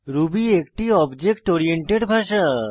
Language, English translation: Bengali, Ruby is an object oriented language